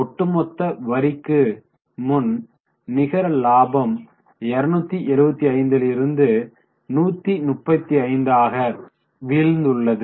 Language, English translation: Tamil, So, overall profit after tax you can see is a major fall from 275 to 135